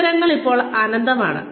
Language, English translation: Malayalam, Opportunities, these days are endless